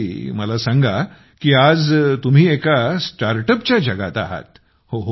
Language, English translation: Marathi, Ok tell me…You are in the startup world